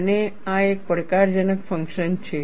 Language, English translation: Gujarati, And, this is a challenging task